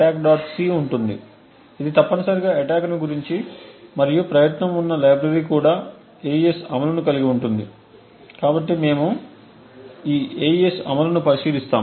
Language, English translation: Telugu, c which is essentially the attack and there is also a library that is present contains the AES implementation, so we will actually take a look at this AES implementation